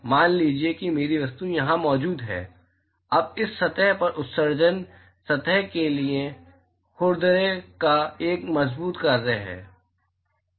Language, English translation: Hindi, Supposing my object is present here, now the emission from this surface is a strong function of the roughness of the surface